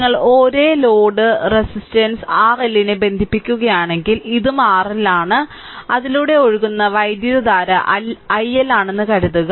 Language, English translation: Malayalam, Suppose, if we connect a same load resistance R L, this is also R L right, and current flowing through this is say i L